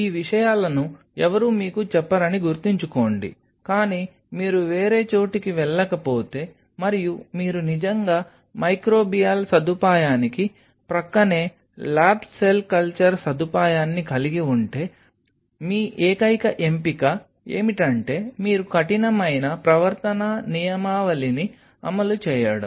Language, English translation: Telugu, Keep that in mind these things no one will tell you, but then if you are no other go and you have to really have a lab cell culture facility adjacent to a microbial facility, then your only option is that you just implement strict code of conduct, so that contaminants from one side does not spill over into the other one